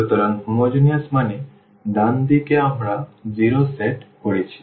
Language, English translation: Bengali, So, homogeneous means the right hand side we have set to 0